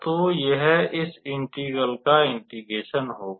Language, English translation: Hindi, So, this will be the integral of this integration of this integration here